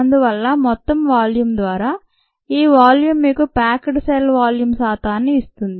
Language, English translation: Telugu, so this volume by the total volume is going to give you the percentage packed cell volume